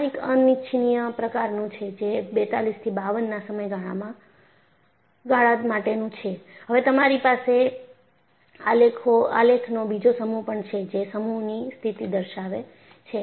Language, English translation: Gujarati, This is something unhealthy and this gives for a period from 42 to 52 and you also have another set of graphs, which shows the condition at sea